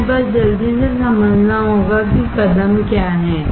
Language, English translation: Hindi, We have to just understand quickly what are the steps